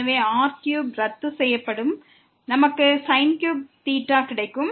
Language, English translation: Tamil, So, this here square will get canceled, we will get cube